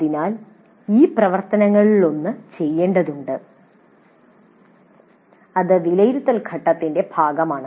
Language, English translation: Malayalam, So, one of these actions we need to do and that's part of the evaluate phase